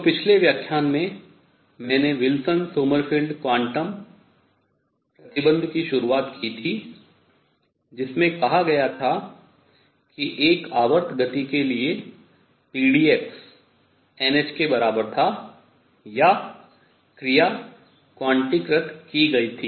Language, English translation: Hindi, So, the previous lecture I introduced the Wilson Sommerfeld quantum condition that said that for a periodic motion p d x was equal to n h or the action is quantized